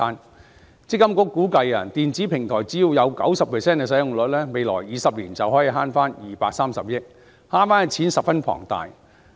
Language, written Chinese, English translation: Cantonese, 強制性公積金計劃管理局估計電子平台只要有 90% 的使用率，未來20年便可以節省230億元，節省的數目十分龐大。, The Mandatory Provident Fund Schemes Authority MPFA estimates that as long as the electronic platform has a 90 % utilization rate an enormous 23 billion can be saved over the next two decades